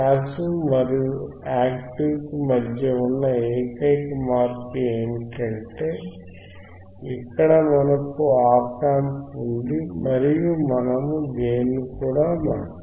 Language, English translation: Telugu, So, t The only change between passive and active is that, here we have op amp and we can change the gain